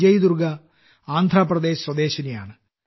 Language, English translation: Malayalam, Vijay Durga ji is from Andhra Pradesh